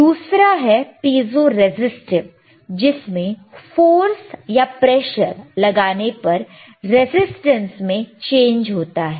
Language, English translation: Hindi, Another one is piezo resistive, applying force or pressure will show change in resistance,